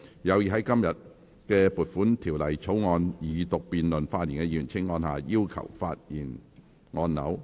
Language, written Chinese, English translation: Cantonese, 有意在今天就撥款條例草案二讀辯論發言的議員，請按下"要求發言"按鈕。, Members who wish to speak in the Second Reading debate on the Appropriation Bill today will please press the Request to speak button